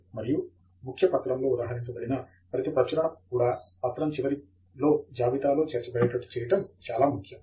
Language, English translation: Telugu, And it’s also important to see that every publication that is cited in the document is also listed at the end of the document